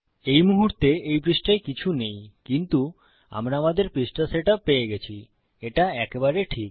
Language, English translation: Bengali, Okay, theres nothing in the page at the moment but weve got our page set up